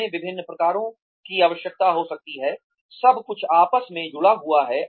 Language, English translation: Hindi, We may need different kinds, everything is sort of interrelated